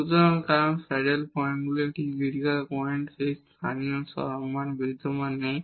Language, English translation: Bengali, So, because the saddle points are those critical points where the local extrema do not exists